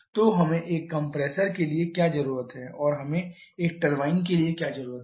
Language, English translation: Hindi, So, what we need for a compressor and what we need for a turbine